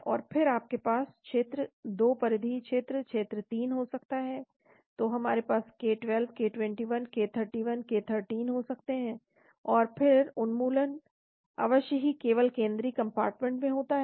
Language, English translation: Hindi, And then you could have region 2 peripheral region, region 3, so we can have k12, k21, k31, k13, and then elimination of course happens only in the central compartment